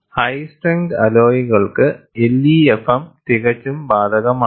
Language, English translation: Malayalam, LEFM is ideally applicable for high strength alloys